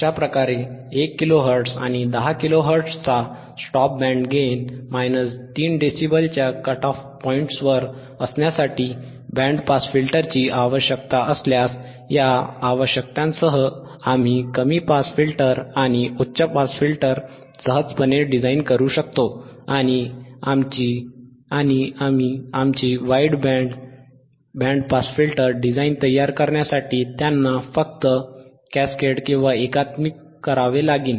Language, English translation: Marathi, Thus, if we require thus if require a band stop filter to have its minus 3dB cut off points at say, at 1 Kilo Hhertz and 10 Kilo Hhertz and a stop band gain atof minus 10dB in between, we can easily design a low pass filter and a high pass filter with thisese requirements and simply by ccascade them together to from our wide band band pass filter design right